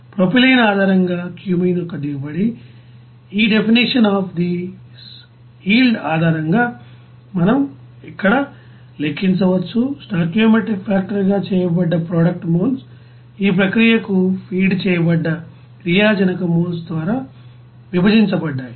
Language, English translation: Telugu, So the yield of the cumene based on propylene, we can calculate here based on the definition of this yield here, moles of product produced into stoichiometric factor divided by moles of reactant fed to the process